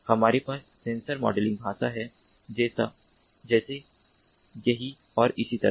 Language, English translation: Hindi, we have the sensor modeling language, like right here, and so on